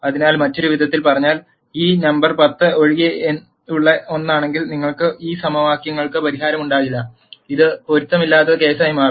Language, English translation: Malayalam, So, in other words if this number is anything other than 10, you will have no solution to these equations, this will become a inconsistent case